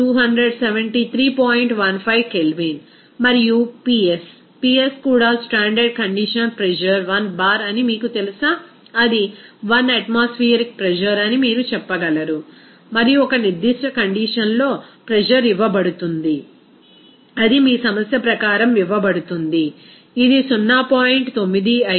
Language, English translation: Telugu, 15 Kelvin and also the Ps, Ps is you know that standard condition pressure is 1 bar, that is 1 atmospheric pressure you can say and the pressure is given at a particular condition is given as per your problem, it is 0